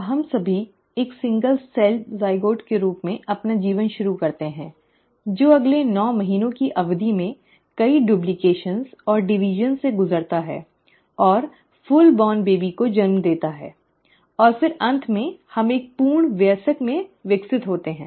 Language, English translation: Hindi, Now we all start our life as a single celled zygote, which then over the period of next nine months undergoes multiple duplications and divisions and gives rise to the full born baby, and then eventually we end up developing into a full adult